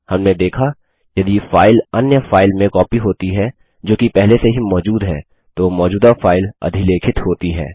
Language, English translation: Hindi, We have seen if a file is copied to another file that already exists the existing file is overwritten